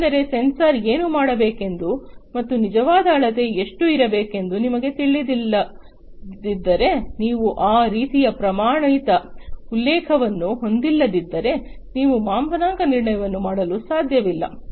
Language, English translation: Kannada, Because if you do not know what the sensor is supposed to do and how much the actual measurement should be, then you cannot do the calibration, you know, if you do not have that kind of standard reference